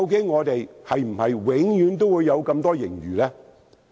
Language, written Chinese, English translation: Cantonese, 我們是否永遠也會有這麼多盈餘呢？, Will we always have such an enormous surplus?